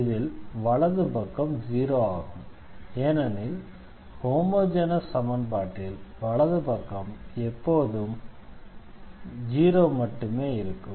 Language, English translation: Tamil, So, indeed this is 0 here, we are talking about the homogeneous equation, so the right hand side will be taken as 0